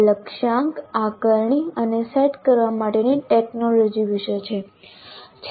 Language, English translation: Gujarati, This is about the technology for assessment and setting the targets